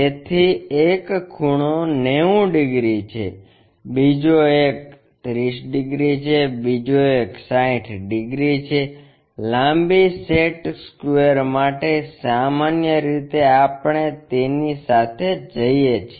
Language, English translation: Gujarati, So, one of the angle is 90 degrees, other one is 30 degrees, other one is 60 degrees, the long set square what usually we go with